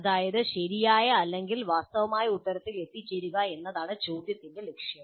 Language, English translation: Malayalam, That means the objective of the question is to arrive at the true or correct answer